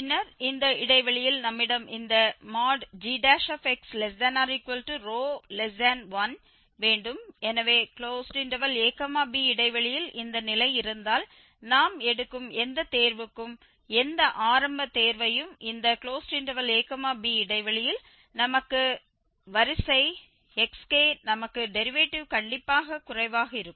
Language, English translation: Tamil, So, in the interval ab if we have this condition that the derivative is strictly less than 1 then for any choice we take, any initial choice we take in this interval ab the sequence xk